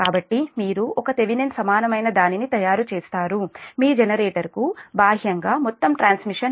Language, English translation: Telugu, so you make one thevenin equivalent right, external to the generator, there is whole transmission